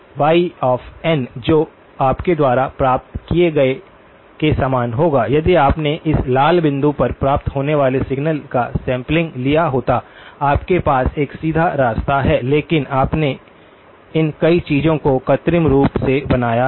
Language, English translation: Hindi, y of n which will be similar to what you would have gotten had you sampled the signal that is being received at this red dot, all you have is a direct path but you have artificially created these multiple things